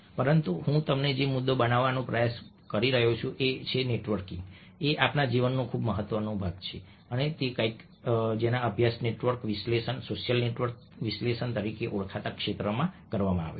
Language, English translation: Gujarati, but the point i was trying to make was that networking is very much part of our life, and this is something which has been studied in a field known as network analysis ok, social network analysis